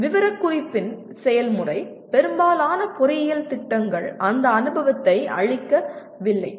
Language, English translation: Tamil, The process of specification itself, most of the engineering programs do not give that experience